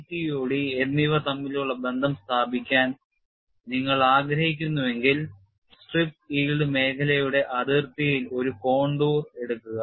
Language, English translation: Malayalam, If you want to establish the relationship between J and CTOD, take a contour along the boundary of the strip yield zone and the contour is shown here